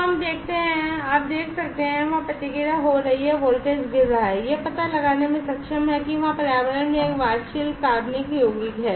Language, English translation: Hindi, So, let us see so you can see the response there it is falling there the voltage is falling it is able to detect that there is a volatile organic compound there in the environment depending